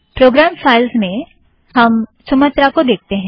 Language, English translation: Hindi, In program files, we look at Sumatra